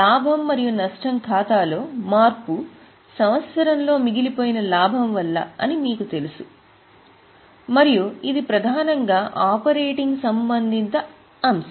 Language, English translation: Telugu, Now you all know that the change in the profit and loss account is due to the profit accumulated during the year and it is mainly the operating related item